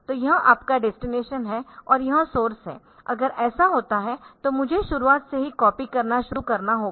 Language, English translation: Hindi, So, this is your destination and this is the source, if it happens like this then I have to start copying from the beginning